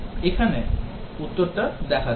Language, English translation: Bengali, Let us look at the answer here